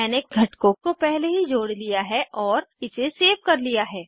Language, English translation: Hindi, I have already interconnected the components and saved it